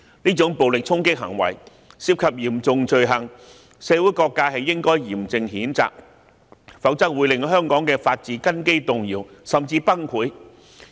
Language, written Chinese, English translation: Cantonese, 這種暴力衝擊行為涉及嚴重罪行，社會各界應該嚴正譴責，否則會令香港的法治根基動搖，甚至崩潰。, All sectors of society should condemn these violent charging acts which may constitute serious offences; otherwise the foundation of the rule of law of Hong Kong may be shaken or even shattered